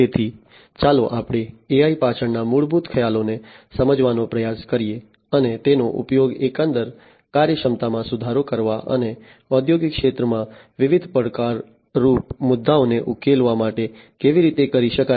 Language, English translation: Gujarati, So, let us try to understand the basic concepts behind AI and how it can be used to improve the overall efficiency and address different challenging issues in the industrial sector